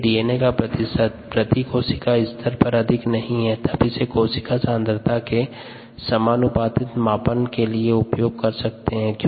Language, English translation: Hindi, and if we assume that the percentage DNA per cell does not vary too much, then this becomes a direct measure of the cell concentration it'self